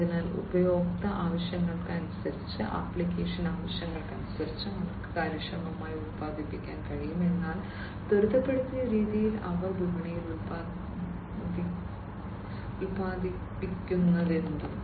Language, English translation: Malayalam, So, depending on the user needs, depending on the application needs, they are able to produce efficiently, but in an accelerated fashion, whatever they are producing in the market